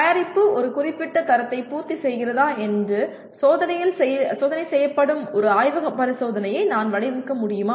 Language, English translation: Tamil, Can I design a lab experiment where the testing is done to whether the product meets the some certain standard